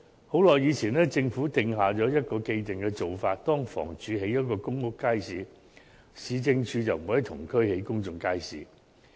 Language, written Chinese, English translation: Cantonese, 許久以前，政府定下了一個既定做法，若房屋署在某區興建了一個公屋街市，市政局就不會在同區興建另一公眾街市。, A long time ago the Government made it an established practice that if the Housing Department had built a public housing estate market in a particular district the Urban Council would not build another public market in the same district . But things are different now